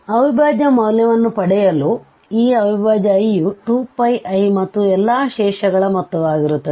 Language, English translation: Kannada, So, to get the integral value there, so the integral i will be 2 Pi i and the sum of all the residues